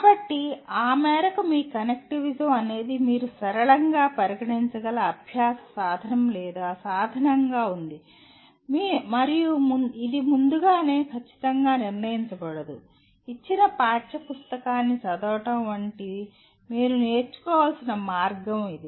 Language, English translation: Telugu, So your connectivism to that extent is a means of or means of learning which you can consider nonlinear and it cannot be exactly decided in advance this is the way you have to learn like reading a given textbook